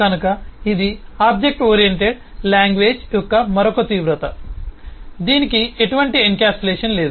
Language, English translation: Telugu, So the it is another extreme of an object oriented language which has no encapsulation at all